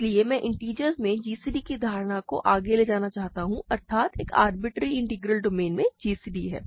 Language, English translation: Hindi, So, I want to carry over the notion that we have in integers namely gcd to an arbitrary integral domain